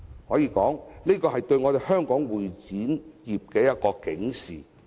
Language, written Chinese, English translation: Cantonese, 可以說，這是對香港會展業的一種警示。, This is a warning to the CE industry in Hong Kong